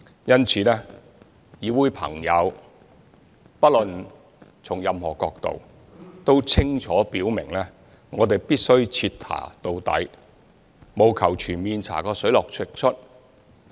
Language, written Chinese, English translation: Cantonese, 因此，議會朋友不論從任何角度都清楚表明我們必須徹查到底，務求全面查個水落石出。, Hence Members in the Council have from whatever angle made it absolutely clear that it is imperative for us to conduct a thorough investigation in a bid to get to the bottom of the whole truth